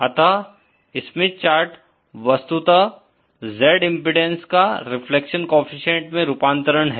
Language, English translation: Hindi, So, a Smith chart is nothing but a conversion of Z impedances into reflection coefficients